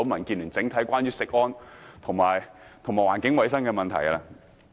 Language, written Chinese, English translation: Cantonese, 我要再跳過一頁講稿，不談漁農業的問題。, I will skip one page of my speaking notes and stop talking about the agriculture and fisheries industry